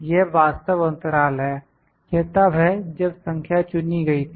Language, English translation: Hindi, This is actual period, this is the when is number selected